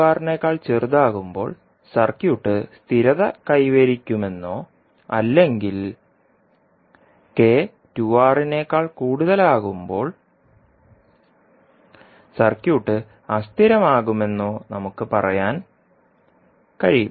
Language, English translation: Malayalam, So what we can say that the circuit will be stable when k is less than 2R otherwise for K greater than 2R the circuit would be unstable